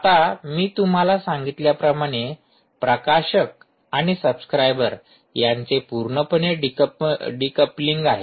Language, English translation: Marathi, now, as i mentioned to you, there is complete decoupling of decoupling of a publisher and subscribers